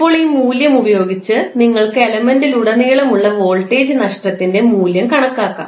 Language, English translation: Malayalam, And now using this value you can simply calculate the value of voltage drop across the the element